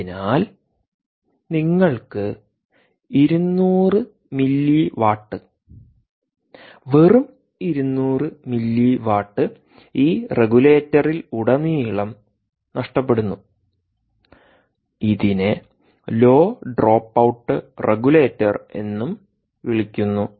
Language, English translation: Malayalam, so you have two hundred mili watt, just two hundred milli watt, being dissipated across this regulator, which is also called the low dropout regulator